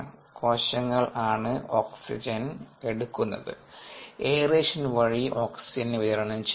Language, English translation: Malayalam, the oxygen is being taken in by the cells, the oxygen is supplied through aeration and so on